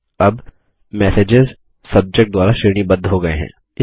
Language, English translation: Hindi, The messages are sorted by Subject now